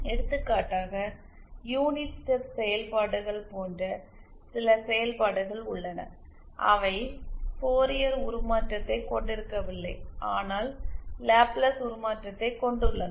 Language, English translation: Tamil, For example there are some functions like the unit step functions which does not have Fourier transform but has a Laplace transform